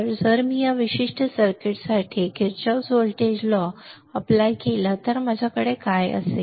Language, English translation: Marathi, So, here if I apply Kirchhoff voltage law for this particular circuit what will I have